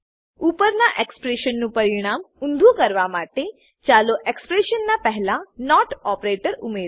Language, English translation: Gujarati, To invert the result of above expression, lets add the not operator before the expression